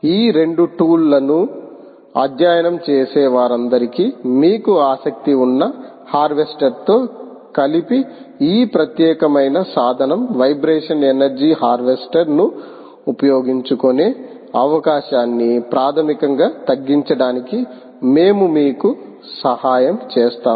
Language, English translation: Telugu, for all that, study this two tools, this particular tool, in combination with the harvester that you have of interest, we will together help you to ah basically narrow down on the ah possibility of using vibration energy harvesting